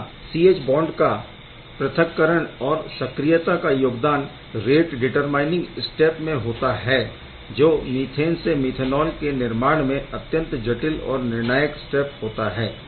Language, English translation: Hindi, So, C H bond dissociation is involved or activation is involved into the rate determining step and that is the most difficult and crucial step for the methane to methanol formation